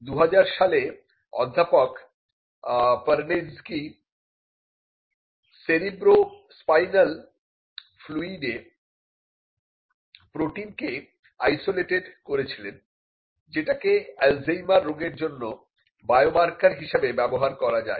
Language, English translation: Bengali, In 2010 Professor Perneczky isolated protein in cerebrospinal fluid that could be used as a biomarker for Alzheimer’s disease